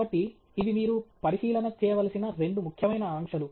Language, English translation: Telugu, So, these are two important constraints that you need to keep track of